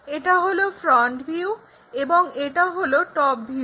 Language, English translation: Bengali, This might be the front view top view